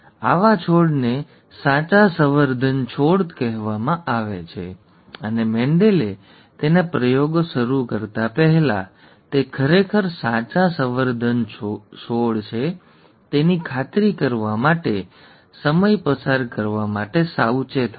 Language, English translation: Gujarati, Such plants are called true breeding plants and Mendel was careful to spend the time to achieve true, to make sure that they were indeed true breeding plants before he started out his experiments